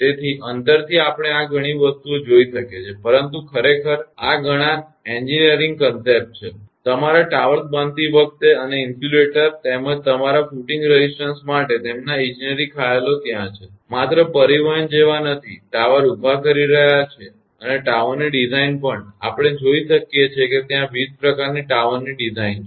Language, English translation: Gujarati, So, from distance we can sees many these things, but actually many engineering concepts are there; for your erecting towers and the insulators, as well as your footing resistance their engineering concepts are there; just not like transporting the; erecting the tower and the design of the tower also, we can see different kind of designs are there